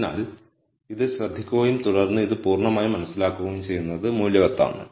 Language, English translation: Malayalam, So, it is worthwhile to pay attention and then understand this completely